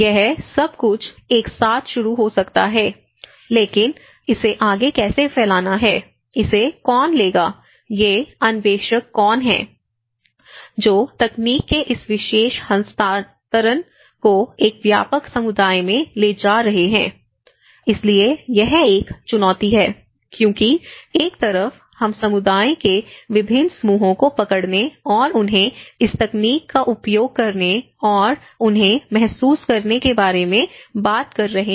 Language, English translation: Hindi, So, it is; it might start everything will start with one and but it has to diffuse further and how, who will take this, who are these innovators, who are these pioneers, who is going to take this particular transfer of technology to a wider community so, it has; this is one of the challenge because on one side, we are talking about capturing different groups of communities and making them use of this technology and realize them